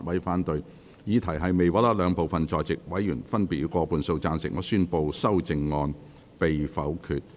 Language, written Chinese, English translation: Cantonese, 由於議題未獲得兩部分在席委員分別以過半數贊成，他於是宣布修正案被否決。, Since the question was not agreed by a majority of each of the two groups of Members present he therefore declared that the amendment was negatived